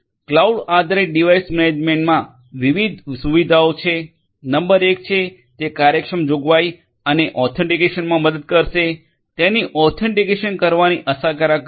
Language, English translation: Gujarati, Cloud based device management has different features; number 1 is, it is going to help in efficient, provisioning; provisioning and authentication, efficient way of doing it authentication